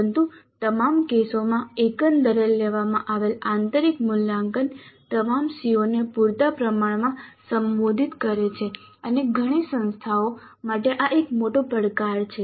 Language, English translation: Gujarati, But in all cases the internal assessment taken as a whole must address all the COS adequately and this is a major challenge for many institutes